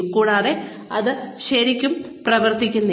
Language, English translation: Malayalam, And, that really does not work